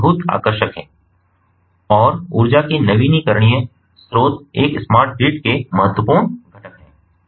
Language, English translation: Hindi, so, and these are very attractive and renewable sources of energy are important components of a smart grid